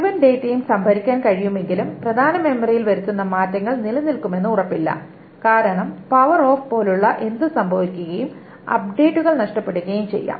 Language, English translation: Malayalam, Even if it is able to store the entire data, the changes that are made in the main memory are not guaranteed to be persisted because anything such as power of can happen and the updates can be lost